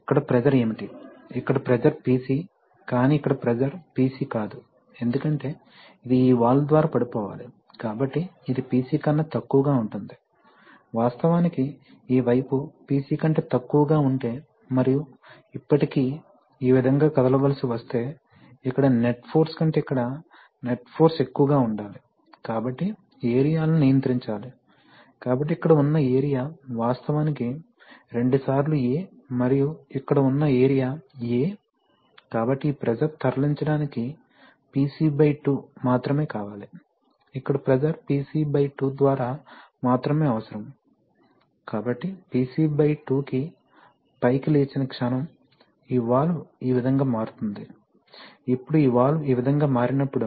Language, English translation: Telugu, So you see that, here what is the pressure, here the pressure is PC but here the pressure is not PC because it has to drop through this valve so this is going to be less than PC, in fact so then, if this side is PC and if there is and if this side is less than PC and still this has to move this way then the net force here has to be more than the net force here, therefore the areas must be controlled, so the area here is actually twice A and the area here is A, so for moving this pressure is only required to be PC by 2, the pressure here is only required to by PC by 2, so the moment this rises above PC by 2, this valve will shift this way, now when this valve will shift this way